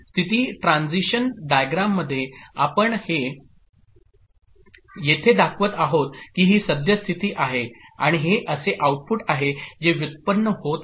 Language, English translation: Marathi, So in the state transition diagram what you are we are showing here is that a this is the current state and this is the output that is generated